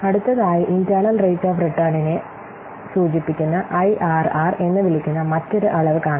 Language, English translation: Malayalam, Next, we'll see the other measure that is called as IRR, which stands for internal rate of return